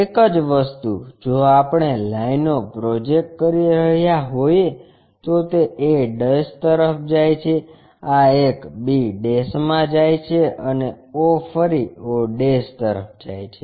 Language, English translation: Gujarati, Same thing if we are projecting the lines it goes to a', this one goes to b' and o goes to o'